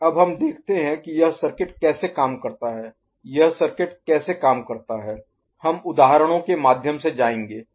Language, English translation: Hindi, Now we see how this circuit works how this circuit works we shall go through examples